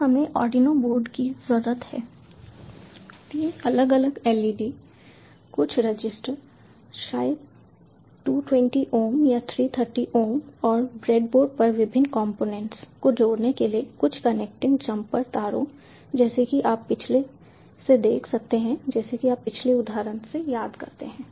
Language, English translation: Hindi, so we need a arduino board, three different leds, some resisters, maybe two twenty ohm or three thirty ohm, and a few connecting jumper wires to connect the various components on the breadboard